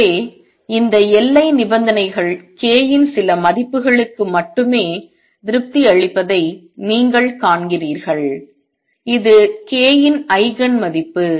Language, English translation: Tamil, So, you see this boundary conditions satisfied only for the certain values of k and this is Eigen value of k